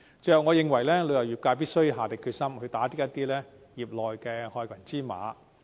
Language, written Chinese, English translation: Cantonese, 最後，我認為旅遊業界必須下定決心，打擊業內一些害群之馬。, Lastly I think the tourism industry must be determined to combat the black sheep in the industry